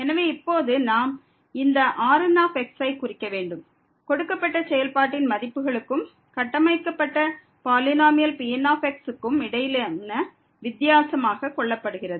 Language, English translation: Tamil, So now, we will denote this as the difference between the values of the given function and the constructed polynomial